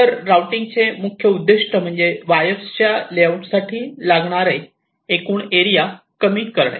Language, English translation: Marathi, so the main objective for routing is to minimize the total area required to layout the wires so broadly